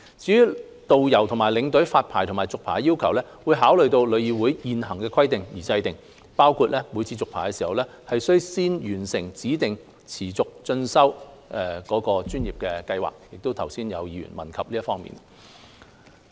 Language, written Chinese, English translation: Cantonese, 至於導遊和領隊發牌和續牌的要求，會參考旅議會的現行規定而訂，包括每次續牌時，須先完成指定持續專業進修計劃，剛才亦有議員問及這方面。, Regarding the requirements for issuing and renewing tourist guide licences and tour escort licences references will be drawn from the existing requirements of TIC including completion of the Continuing Professional Development Scheme as specified . Some Members have also raised questions on this issue earlier